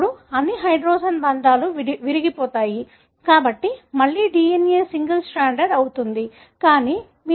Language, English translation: Telugu, Then, all the hydrogen bonds are broken, so, again the DNA becomes single stranded